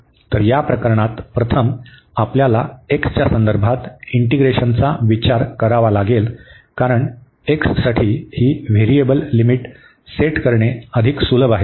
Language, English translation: Marathi, So, in this case we have to consider first the integration with respect to x because it is easier to set this variable limits for x